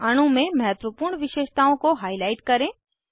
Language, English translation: Hindi, * Highlight the important features in the molecule